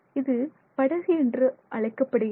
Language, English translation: Tamil, This is called a boat